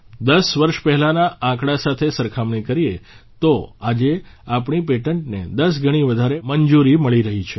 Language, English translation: Gujarati, If compared with the figures of 10 years ago… today, our patents are getting 10 times more approvals